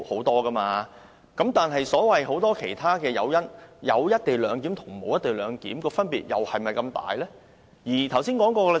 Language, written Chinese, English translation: Cantonese, 但是，就所謂很多其他誘因，有"一地兩檢"和沒有"一地兩檢"的分別，又是否這麼大呢？, But does the implementation or not of the co - location arrangement make such a great difference in respect of the many other so - called incentives?